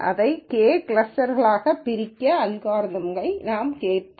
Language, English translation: Tamil, So, what does it mean when we say we partition it into K clusters